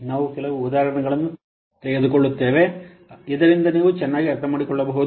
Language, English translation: Kannada, We will take a few examples so that you can better understand